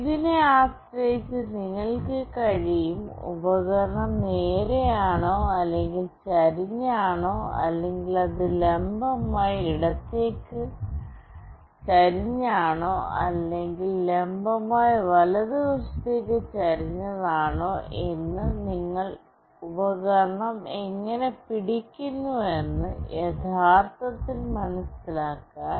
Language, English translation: Malayalam, Depending on this you will be able to actually understand how you are holding the device, whether the device is straight or it is tilted, or it is vertically tilted to the left, or it is vertically tilted to the right